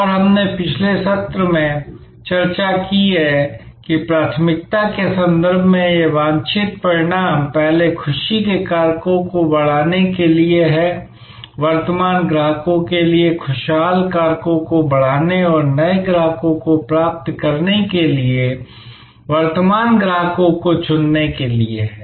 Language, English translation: Hindi, And we discussed in the previous session that this desired outcomes in terms of priority first is to enhance the delight factors, enhance delight factors for current customers and co opt current customers to acquire new customers